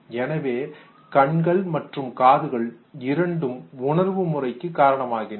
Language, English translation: Tamil, So, I and ears both are responsible for the process of perception